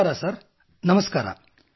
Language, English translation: Kannada, Namaste Sir Namaste